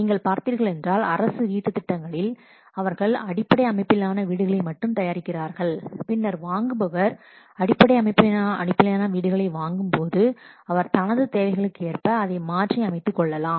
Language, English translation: Tamil, You can have seen just government what does in this housing schemes, they prepare only core houses and then the purchaser when he will purchase the core house, then he will what customize it according to his needs